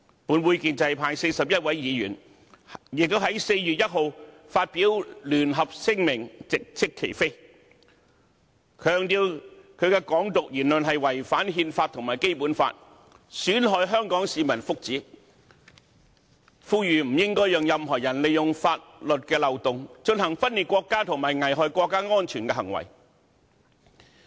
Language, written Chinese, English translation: Cantonese, 本會建制派41位議員，亦在4月1日發表聯合聲明直斥其非，強調他的"港獨"言論違反憲法和《基本法》，損害香港市民福祉，呼籲不應該讓任何人利用法律漏洞，進行分裂國家和危害國家安全的行為。, The 41 Members from the pro - establishment camp of the Legislative Council also released a joint statement on 1 April to reprimand him straight for his wrongdoing stressing that his Hong Kong independence remark violates the Constitution and the Basic Law and prejudices the interest and well - being of the people of Hong Kong . We urge that no one should be allowed to engage in acts of secession and endangering national security through exploitation of the loopholes in law